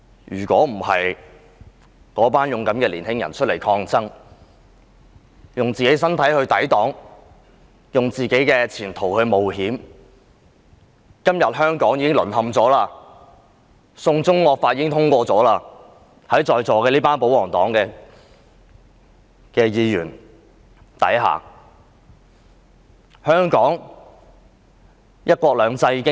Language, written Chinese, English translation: Cantonese, 如果當天不是這群勇敢的青年人出來抗爭，用自己的身體抵擋惡法，用自己的前途冒險，香港今天便已經淪陷，"送中惡法"已於在座這群保皇黨議員手上獲得通過了。, If these young people had not come out that day to defy the evil law with their own bodies putting their own prospects at risk Hong Kong would have already fallen low and the evil China extradition bill would have been passed by the royalist Members now present in this Chamber